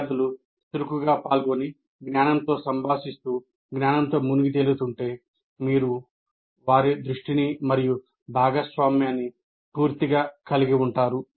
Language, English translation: Telugu, If they are actively participating and interacting with the knowledge, engaging with the knowledge, you will have their attention and participation fully